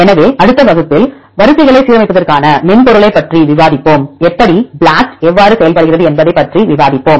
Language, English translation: Tamil, So, in next class, we will discuss about the software for aligning sequences; how, we will discuss about how BLAST works